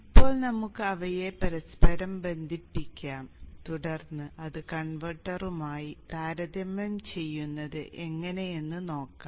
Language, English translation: Malayalam, Now let us interconnect them and then observe how it comes back to the converter